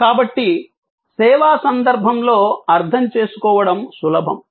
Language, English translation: Telugu, So, it is easy to understand in a service context